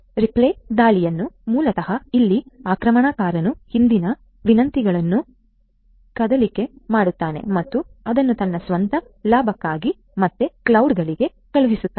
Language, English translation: Kannada, Replay attack basically here the attacker eavesdrops the previous requests and sends it again to the cloud for her own benefit